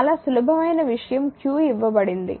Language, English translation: Telugu, Very simple thing q is given